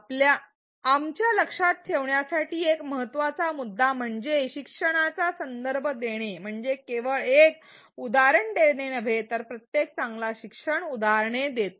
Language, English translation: Marathi, An important point for us to remember is that contextualizing the learning is not only about giving an example, every good instructor gives examples